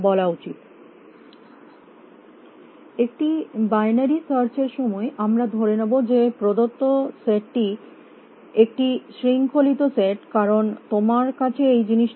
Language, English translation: Bengali, While a binary search we would assume that the given set is a ordered set because you need to have a this thing